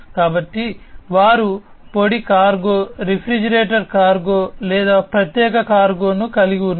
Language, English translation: Telugu, So, they have the dry cargo, refrigerated cargo or special cargo